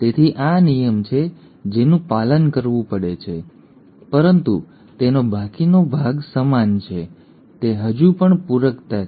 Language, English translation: Gujarati, So this is the rule which has to be followed, but rest of it is the same, it is still complementarity